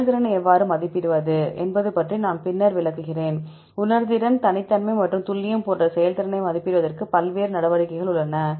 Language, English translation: Tamil, You can, I will explain later about the how to assess the performance, there are various measures to assess the performance like sensitivity, specificity and accuracy